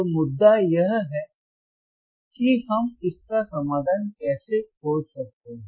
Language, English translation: Hindi, So, the point is, how can we find the solution to it